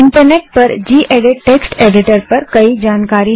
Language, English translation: Hindi, The Internet has a lot of information on gedit text editor